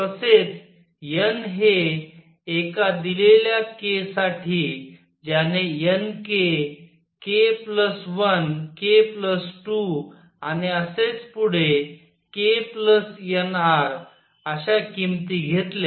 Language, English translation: Marathi, Also n for a given k who took values n k, k plus 1, k plus 2 and so on k plus n r